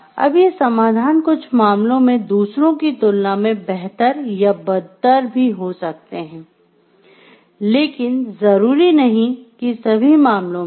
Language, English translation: Hindi, These solutions might be better or worse than others in some respects, but not necessarily in all respects